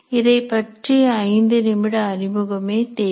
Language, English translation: Tamil, Five minutes introduction is all that is required